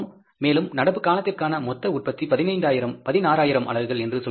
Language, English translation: Tamil, Again I repeat that total production for the current period was 16,000 units